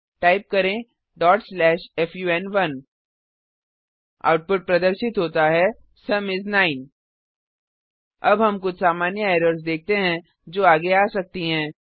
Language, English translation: Hindi, Type ./fun1 The output is displayed as: Sum is 9 Now we will see the common errors which we can come across